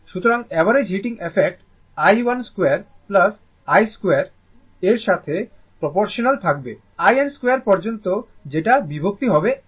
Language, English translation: Bengali, So, therefore, the average heating effect is proportional to i 1 square plus i 2 square up to i n square divided by n right